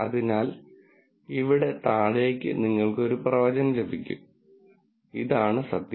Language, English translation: Malayalam, So, in this down, you get prediction, this is the truth